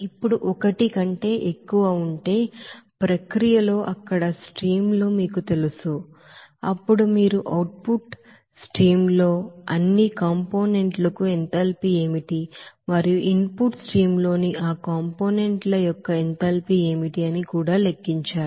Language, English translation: Telugu, Now, if there are more than one, you know streams there in the process, then you have to calculate what will be the enthalpy for all components in the output streams and also what should be the enthalpy in you know, enthalpy of that components in the inlet stream